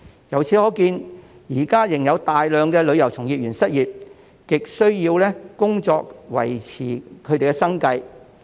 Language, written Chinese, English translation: Cantonese, 由此可見，現時仍有大量旅遊從業員失業，極需要工作維持生計。, It can thus be seen that a large number of tourism practitioners are still unemployed and in desperate need of a job to make ends meet